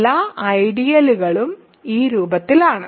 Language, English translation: Malayalam, So, every ideal is in this form